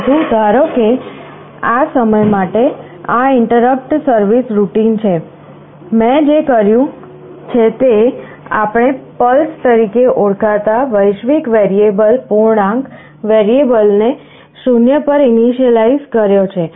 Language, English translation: Gujarati, But, suppose for the time being this is the interrupt service routine, what I have done: we have declared a global variable integer variable called “pulses”, initialized to 0